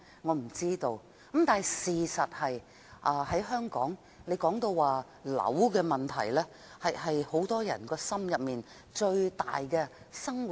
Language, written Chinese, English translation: Cantonese, 我不知道；但事實是，在香港提到房屋的問題，這是很多人心中一根最大的刺。, I do not know . But the fact is that when it comes to the housing problem in Hong Kong it is the biggest thorn in the hearts of many people